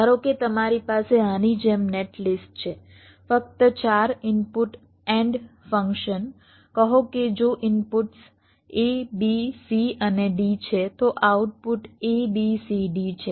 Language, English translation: Gujarati, suppose you have a netlist like this, just a four input nand function, say, if the inputs are a, b, c and d, the output produces is a, b, c, d